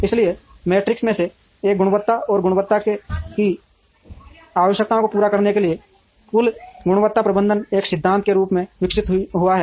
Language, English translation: Hindi, So, one of the metrics is quality and total quality management evolved as a methodology to meet the requirements of quality